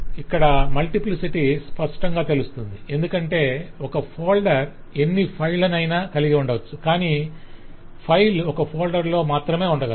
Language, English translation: Telugu, so the multiplicity is clear because the folder can contain arbitrary number of files but a file can remind only in one folder